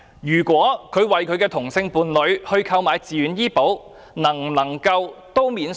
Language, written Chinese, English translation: Cantonese, 任何人為他的同性伴侶購買自願醫保，能否獲得扣稅？, Can a person who purchased a VHIS policy for hisher same - sex partner get tax deduction?